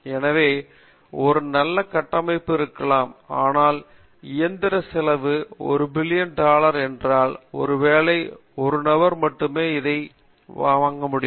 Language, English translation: Tamil, So, might have a very good architecture, but it cost that machine cost 1 billion dollar probably 1 fellow will buy it